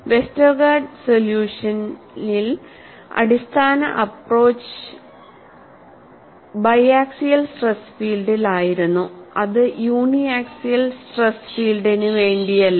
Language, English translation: Malayalam, Whereas, in the Westergaard solution, the basic approach was on biaxial stress field, it is not for uniaxial stress field